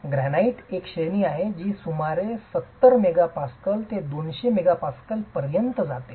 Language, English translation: Marathi, Granite has a range that goes all the way from about 70 megapascals to about 200 megapascals